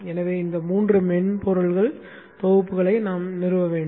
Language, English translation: Tamil, So these three set of software packages we need to install